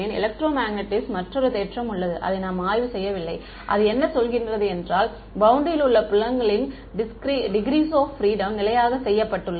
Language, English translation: Tamil, There is another theorem in electromagnetics which we have not studied which says that the fields I mean the degrees of freedom in this field on the boundary is fixed